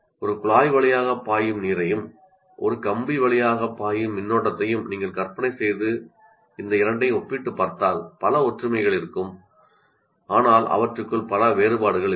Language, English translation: Tamil, But if you put water flowing through a pipe and current flowing through a wire, if I compare these two, there will be many similarities, but there will also be many differences